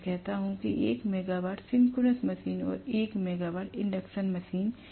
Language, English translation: Hindi, So, I say that 1 megawatt synchronous machine and 1 megawatt induction machine